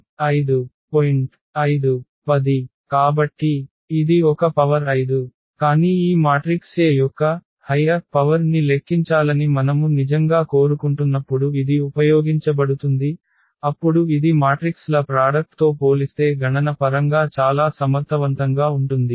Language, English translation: Telugu, So, that is A power 5, but it is usually used when we really want to have we want to compute a high power of this matrix A then this is computationally very very efficient as compared to doing the product of matrices A